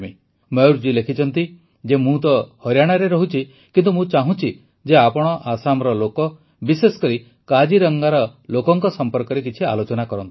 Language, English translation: Odia, Mayur ji has written that while he lives in Haryana, he wishes us to touch upon the people of Assam, and in particular, the people of Kaziranga